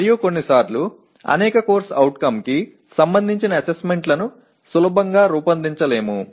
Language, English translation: Telugu, And also sometimes assessments related to several CO cannot be easily designed